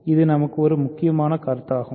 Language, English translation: Tamil, So, this is an important proposition for us